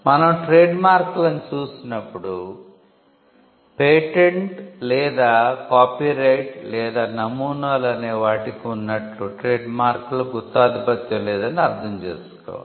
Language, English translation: Telugu, When we look at trademarks, we also need to understand that trademarks are not a monopoly, in the sense that patents or copyright or designs are